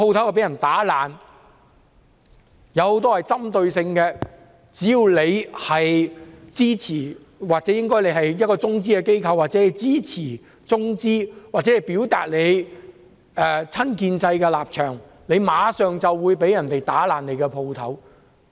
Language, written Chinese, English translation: Cantonese, 相關行動很有針對性，只要店主支持中資機構或是中資機構、支持或表達親建制立場，他們的店鋪就會被破壞。, All these are targeted actions . If shop owners support Chinese enterprises support the pro - establishment camp or indicate pro - establishment stances their shops will be vandalized . Chinese enterprises will also be vandalized